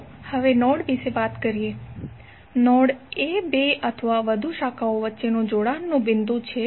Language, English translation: Gujarati, Now let us talk about node, node is the point of connection between two or more branches